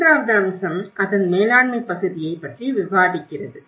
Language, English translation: Tamil, Then the third aspect is we discussed about the management part of it